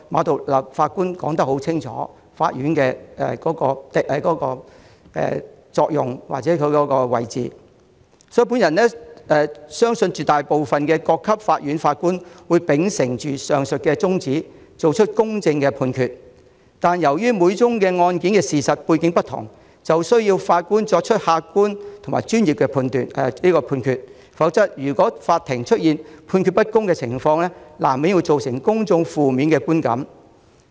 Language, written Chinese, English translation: Cantonese, 至於各級法院法官，我相信絕大部分法官都會秉承上述宗旨，作出公正判決，但由於每宗案件的事實背景並不相同，法官需要作出客觀和專業的判決。否則，如果法庭出現判決不公的情況，難免令公眾產生負面的觀感。, As for judges at various levels of courts I believe that most judges will uphold the above principles and make fair judgments . However as the factual background of cases are not the same judges have to make judgments in an objective and professional manner; otherwise the public will inevitably have negative feelings if the judgments of the courts are unfair